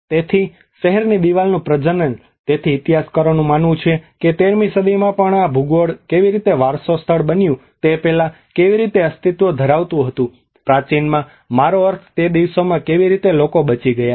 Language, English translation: Gujarati, So reproduction of a city wall; so historians think that how this geography was existing even before this has become a heritage site even in 13thcentury how the ancient I mean those days how people have survived